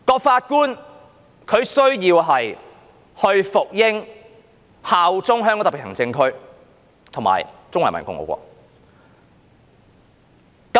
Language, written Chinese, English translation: Cantonese, 法官需要服膺、效忠香港特別行政區及中華人民共和國。, Judges would be required to serve and pledge allegiance to SAR and to the Peoples Republic of China PRC